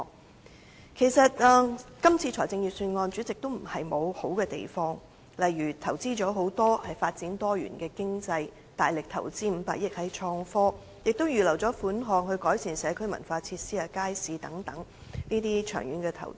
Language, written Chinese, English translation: Cantonese, 代理主席，其實這份預算案也並非沒有優點，例如在發展多元經濟方面投入了很多、大力投資500億元在創新科技方面，亦預留了款項，作為改善社區文化設施和街市的長遠投資。, Deputy Chairman this Budget is actually not without merits . For example on developing a diversified economy a significant commitment to innovation and technology by way of a major investment of 50 billion was made . Funds have also been set aside as long - term investment for improvement of community and cultural facilities and markets